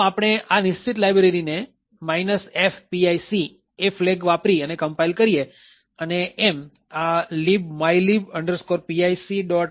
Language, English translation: Gujarati, So, we compile this particular library using the F, minus F pic file, a flag and thus create this library libmylib pic